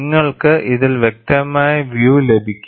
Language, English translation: Malayalam, You can have a clear view in this